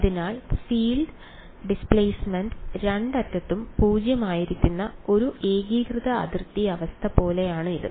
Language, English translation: Malayalam, So, it is like a homogeneous boundary condition where the field is displacement is 0 at both ends